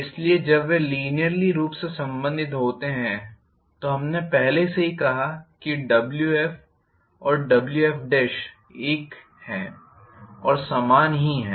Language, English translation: Hindi, So when they are linearly related we said already that Wf and Wf dash are one and the same